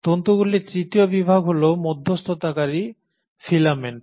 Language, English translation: Bengali, And the third category of the fibres are the intermediary filaments